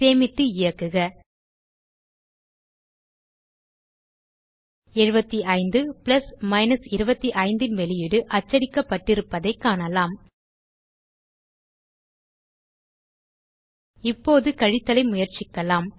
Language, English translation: Tamil, we see that the output of 75 plus 25 has been printed Now let us try subtraction